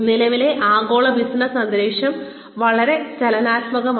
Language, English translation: Malayalam, The current global business environment is so dynamic